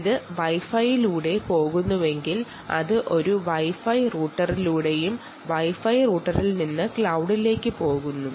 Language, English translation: Malayalam, and once it happens that way, so if it is going through wifi, its going through a wifi router and from the wifi router, um, it goes to the cloud